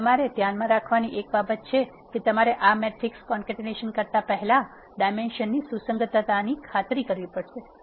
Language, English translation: Gujarati, So, one thing you have to keep in mind is you have to make sure the consistency of dimensions before you do this matrix concatenation